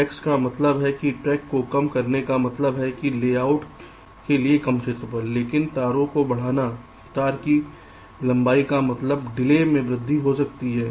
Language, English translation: Hindi, shorter tracks do mean that reducing tracks means shorter area for layout, but increasing wires wire length may mean and increase in delay